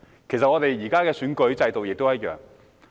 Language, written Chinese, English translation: Cantonese, 其實，我們現時的選舉制度亦一樣。, In fact our current electoral system is just the same